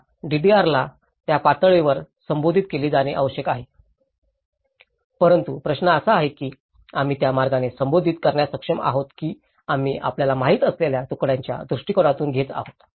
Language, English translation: Marathi, That is the DRR has to be addressed in that level but the question is whether we are able to address that in that way or we are only taking in a piecemeal approach you know